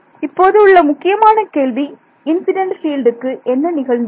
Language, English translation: Tamil, So, the main question now, that has that has come about is what happened to the incident field